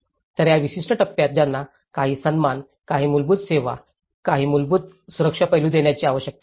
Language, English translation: Marathi, So, this particular phase they need to be served with some dignity, some basic services, some basic safety aspect